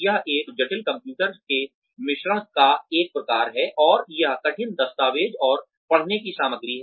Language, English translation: Hindi, This is a complex, a sort of mix of computer, and this hard documents, and reading material